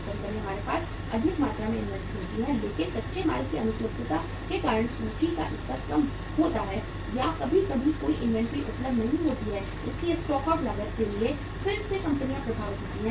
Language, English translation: Hindi, Sometime we have high amount of inventory but because of the breakdown non availability of raw material there is a very low level of inventory or sometime no inventory available so again the firms are affected for the stock out cost